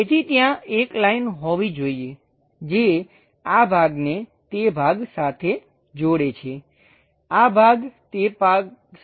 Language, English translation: Gujarati, So, there should be a line which joins this part all the way to that part, this part joins with that part